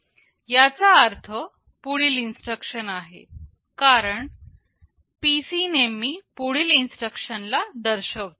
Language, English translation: Marathi, This means the next instruction, because PC always points to the next instruction